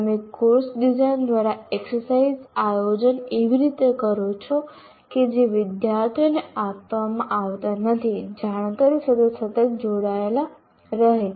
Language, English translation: Gujarati, You plan exercises through course design in such a way that students are required to engage constantly with the new knowledge that is being imparted